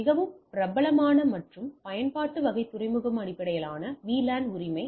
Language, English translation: Tamil, The most popular and use type is the port based VLAN right